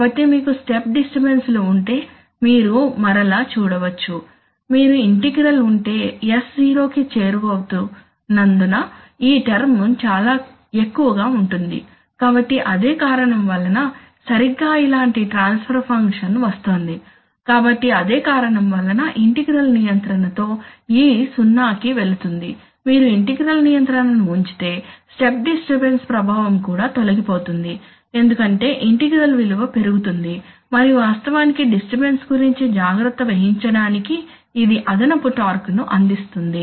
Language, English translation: Telugu, If you have an, if you have an integral then this term will actually go very high as s tends to zero, so the effect of, so for the same reason exactly similar transfer function is coming, so the same reason why e goes to zero with integral control, if you put integral control even the effect of step disturbances will also go away because the integral value will rise and it will provide the additional torque to actually take care of the disturbance